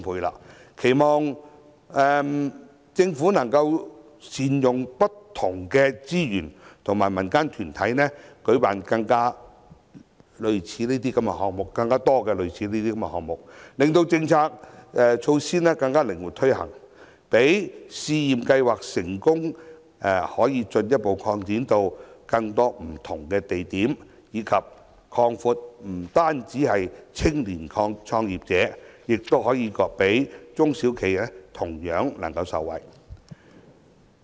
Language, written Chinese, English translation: Cantonese, 我期望特區政府能夠善用不同的資源和民間團體舉辦更多類似項目，令政策措施更靈活推行，使試驗計劃可進一步擴展至更多不同的地點，以及擴大受惠對象，不單是青年創業者，中小企也同樣受惠。, I hope the SAR Government will launch more projects of this type by utilizing different resources and engaging different local groups so as to allow flexible implementation of policy initiatives and further extension of the Pilot Scheme to different places benefiting not only young entrepreneurs but also SMEs